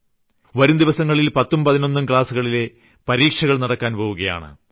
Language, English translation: Malayalam, Final Examinations for grade 10th and 12th will be conducted in the coming days